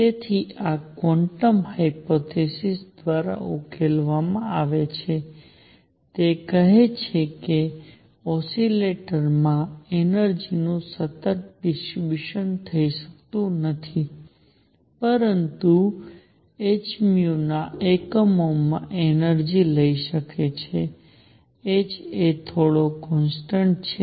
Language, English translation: Gujarati, So, this is resolved by quantum hypothesis, it says that an oscillator cannot have continuous distribution of energy, but can take energy in units of h nu; h is some constant